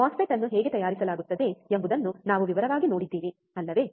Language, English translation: Kannada, We have also seen in detail how the MOSFET is fabricated, isn't it